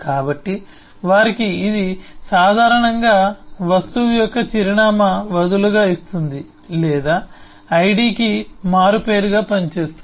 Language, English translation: Telugu, so for them it’s typically the address of the object gives loosely or works loosely as an alias for the id